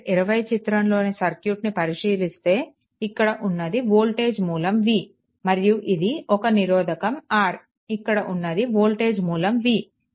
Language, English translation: Telugu, If you look in to the, if you look into the, this circuit that this is your this is voltage source v, and this is the resistance R right, and this is the voltage source v